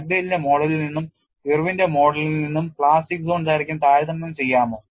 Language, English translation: Malayalam, Can we compare with the plastic zone length from Dugdale’s model and Irwin’s model